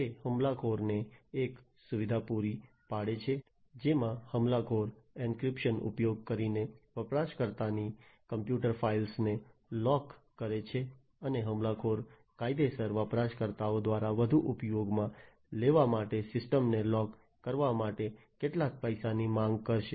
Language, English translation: Gujarati, It provides a facility to the attacker in which the attacker locks the user’s computer files by using an encryption and then the attacker will demand some money in order for them to lock the system to be further used by the legitimate users